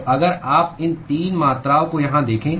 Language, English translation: Hindi, So, if you look at these 3 quantities here